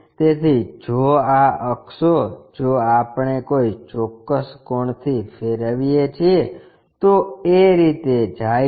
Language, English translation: Gujarati, So, this axis if we are rotating by a certain angle it goes in that way